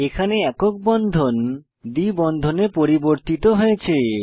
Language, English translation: Bengali, Lets first convert single bond to a double bond